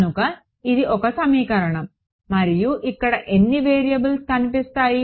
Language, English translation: Telugu, So, this is one equation and how many variables will appear over here